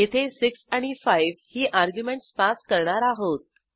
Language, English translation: Marathi, Here we pass arguments as 6 and 5